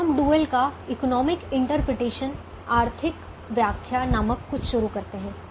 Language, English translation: Hindi, now we start something called the economic interpretation of the dual